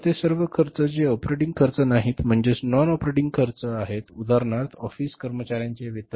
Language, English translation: Marathi, So all those expenses which are not operating expenses, non operating expenses, for example, salaries of the office employees